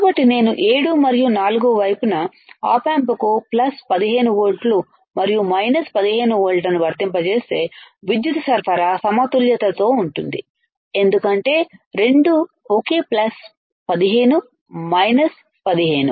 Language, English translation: Telugu, So, you have seen right that if I apply plus 15 volts and minus 15 volts to the op amp to the op amp at 7 and 4 right, then it will be by balanced power supply balanced, because both are same plus 15 minus 15